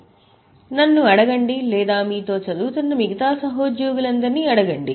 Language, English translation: Telugu, So, ask to TAs, ask to me or ask to all other colleagues who are also studying with you